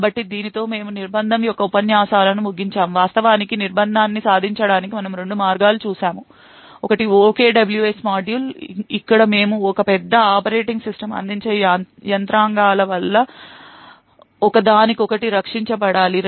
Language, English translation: Telugu, So with this we actually conclude the lectures on confinement, we see two ways to actually achieve confinement, one is the OKWS module where we split a large application into several small processes and each process by the virtue of the mechanisms provided by the operating system will be protected from each other